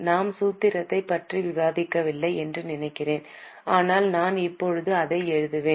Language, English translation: Tamil, I think we have not discussed the formula but I will just write it down right now